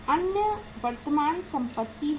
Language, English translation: Hindi, Others are current assets